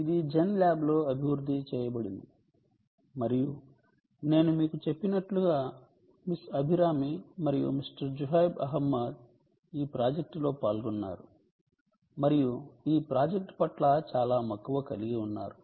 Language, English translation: Telugu, ok, and, as i mentioned to you, miss abhirami and mister zuhaib ahmed were involved in this project and are very passionate about this project